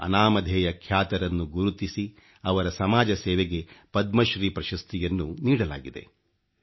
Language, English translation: Kannada, Identifying her anonymous persona, she has been honoured with the Padma Shri for her contribution to society